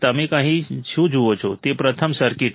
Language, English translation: Gujarati, What do you see here is the first circuit